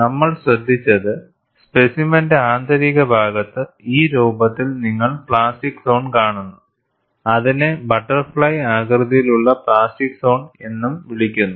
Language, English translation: Malayalam, And what we had noted was, in the interior of the specimen, you see the plastic zone in this form, which is also referred as butterfly shape plastic zone